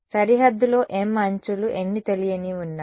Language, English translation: Telugu, m edges on the boundary how many unknowns are there